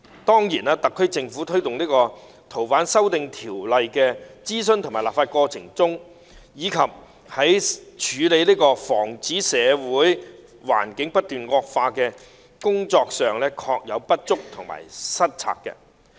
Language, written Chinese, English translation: Cantonese, 當然，特區政府在推動《逃犯條例》修訂的諮詢和立法過程中，以及處理和防止社會環境不斷惡化的工作上，確有不足及失策。, Of course in the process of conducting consultation and going through the legislative procedures for the amendments of FOO and in its efforts to deal with and prevent continued deterioration of the social environment the SAR Government has indeed not done well enough and has been unwise